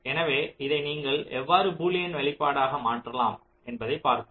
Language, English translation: Tamil, so how you you do it map this into a boolean expression